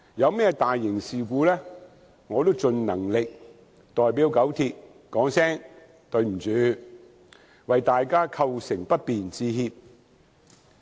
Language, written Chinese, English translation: Cantonese, 當發生大型事故時，我也盡能力代表九鐵說一聲"對不起，為大家構成不便致歉"。, Whenever large - scale incidents occurred I also had to try my best to say sorry to the public on behalf of KCRC and apologize for the inconvenience caused to them